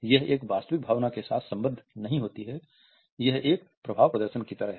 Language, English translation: Hindi, It is not accompanied by a genuine emotion, it is like an effect display